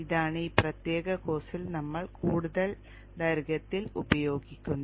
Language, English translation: Malayalam, This is what we will be using at great length in this particular course